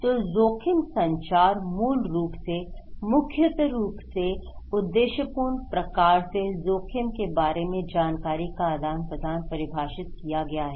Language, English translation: Hindi, So risk communication basically, primarily defined as purposeful exchange of information about some kind of risk